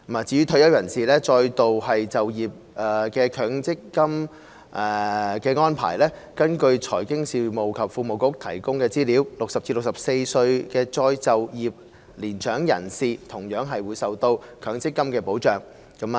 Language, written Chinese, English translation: Cantonese, 至於退休人士再度就業的強制性公積金安排，根據財經事務及庫務局提供的資料 ，60 至64歲的再就業年長人士同樣受到強積金的保障。, As regards the Mandatory Provident Fund MPF arrangements for retired persons engaged in re - employment according to the information provided by the Financial Services and the Treasury Bureau elderly persons aged 60 to 64 engaged in re - employment are also protected by MPF